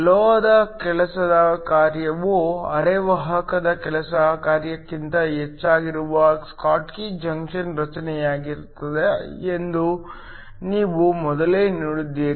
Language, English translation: Kannada, You have seen earlier that a schottky junction is formed, when the work function of the metal is greater than the work function of the semiconductor